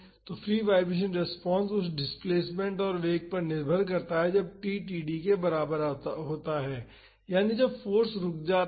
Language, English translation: Hindi, So, the free vibration response, depend upon the displacement and velocity at t is equal to td that is when the force stops